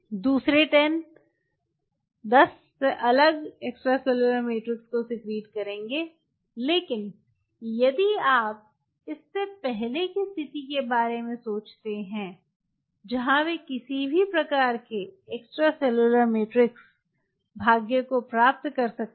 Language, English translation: Hindi, another ten is going to secrete different extracellular matrix, but earlier to that, if you think of this situation where they could attain any kind of extracellular matrix, feet on the similar, all these cells similar to these cells